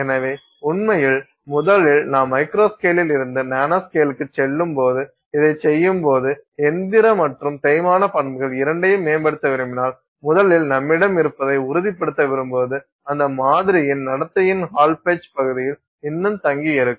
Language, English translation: Tamil, So, in fact, first of all, if you want to improve both mechanical and wear properties, when you do this, you know, as you go from a macro scale to micro scale to nanoscale you first of all want to make sure that you have you are still staying in the hallpage region of that behavior of that sample